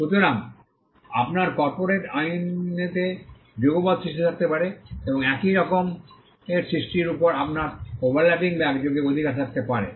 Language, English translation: Bengali, So, you could have simultaneous creation in corporate law, and you could have overlapping or simultaneous rights over the similar creations